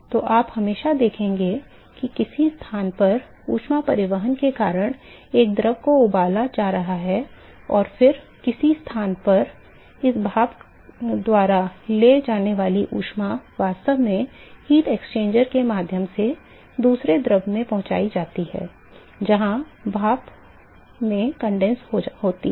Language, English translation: Hindi, So, you will always see that at some location a fluid is being boiled because of heat transport and in some location the heat that is carried by this steam is actually transported to another fluid through heat exchanger where the steam is actually condensing